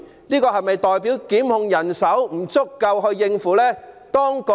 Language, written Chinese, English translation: Cantonese, 這是否代表檢控人手不足夠應付這工作量？, Does it mean that there are insufficient prosecutors to cope with this workload?